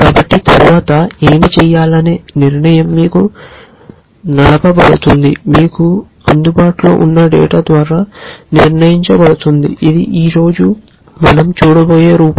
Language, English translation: Telugu, So, the decision of what to do next is driven by, is decided by the data that is available to you, which is the form that we will be looking at today